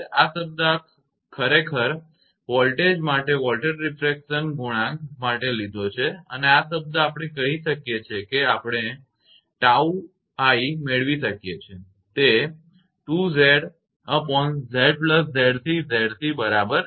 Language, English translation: Gujarati, This term this one we have taken for voltage refraction coefficient for voltage actually and this term we can say we can make tau i is equal to 2 into Z c upon Z plus Z c right